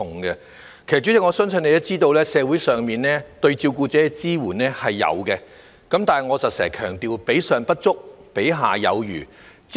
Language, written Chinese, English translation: Cantonese, 代理主席，我相信你也知道，社會上對照顧者的支援是有的，但如我經常強調，比上不足，比下有餘。, Deputy President I believe you know that there is support for carers in society but as I have often stressed it is neither the best nor the worst